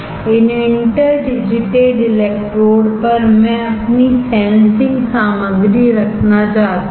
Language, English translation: Hindi, On these interdigitated electrodes I want to have my sensing material